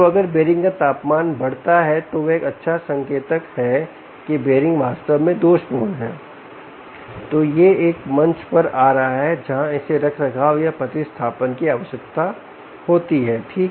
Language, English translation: Hindi, so if the temperature of the bearing increases is a good indicator that this bearing is indeed faulty or its coming to a stage where it requires maintenance or replacement